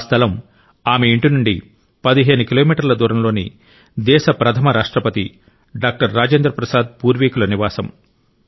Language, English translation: Telugu, The place was 15 kilometers away from her home it was the ancestral residence of the country's first President Dr Rajendra Prasad ji